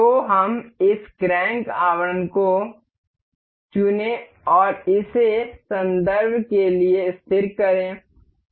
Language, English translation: Hindi, So, let us pick this crank casing and fix this for the reference